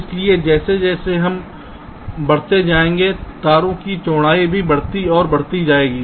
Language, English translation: Hindi, so as we move up, the width of the wires also will be getting wider and wider